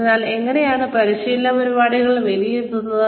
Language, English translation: Malayalam, Now, how do you evaluate, training programs